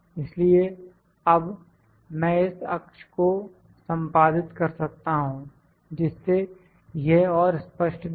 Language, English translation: Hindi, So, now, I can edit this axis to make it look more clear